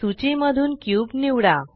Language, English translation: Marathi, Select cube from the list